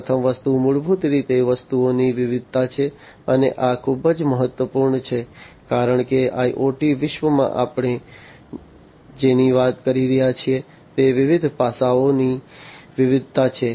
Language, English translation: Gujarati, The first one is basically the diversity of the objects, and this is very key because in the IoT world what we are talking about is diversity of different aspects